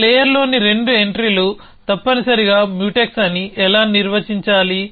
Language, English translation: Telugu, How do we define that two entries in a layer are Mutex essentially